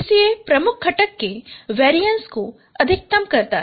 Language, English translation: Hindi, Now PCA it maximizes the variance of the dominant component